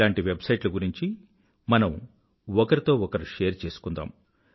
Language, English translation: Telugu, Let us share such websites amongst ourselves